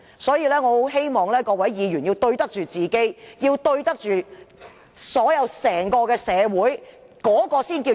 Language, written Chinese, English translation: Cantonese, 所以，我很希望各位議員要對得起自己和整個社會，那才是平衡。, I do hope that all Members will be accountable to themselves and to the whole community . That is what we call striking a balance